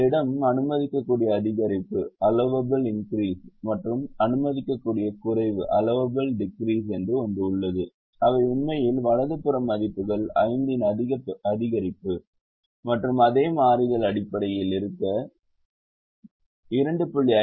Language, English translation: Tamil, you also have something called allowable increase and allowable decrease, which are actually the the right hand side values can go up to an increase of five and a decrease of two, point five for the same variables to be in the bases